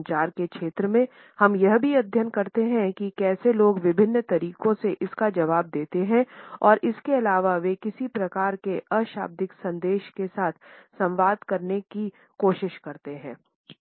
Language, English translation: Hindi, In the area of communication we also study how in different ways people respond to it and thereby what type of nonverbal messages they try to communicate with it